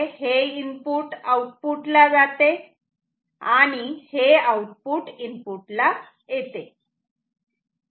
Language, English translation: Marathi, Input goes to output; output goes to input ok